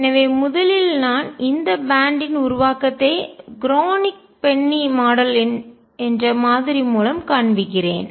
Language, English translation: Tamil, So, first now let me show you the formation of this band through a model called the Kronig Penney Model